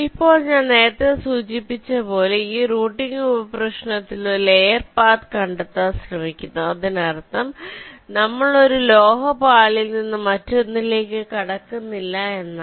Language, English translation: Malayalam, now, in this routing sub problem, as i mentioned earlier, we are trying to find out a single layer path that means we are not crossing from one metal layer to the other